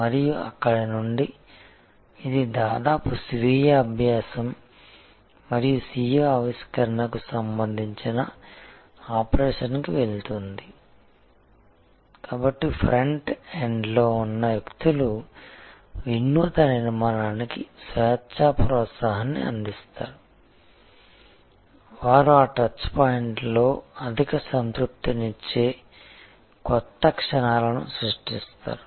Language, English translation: Telugu, And from there, it goes to the operation is almost self learning and self innovating, so the people at the front end with the kind of structure freedom encouragement for innovation, they create new moments of high satisfaction at that touch points